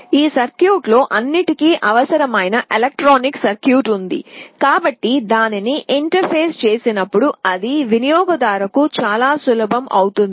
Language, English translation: Telugu, This circuit has all the required electronic circuit inside it, so that when you interface it, it becomes very easy for the user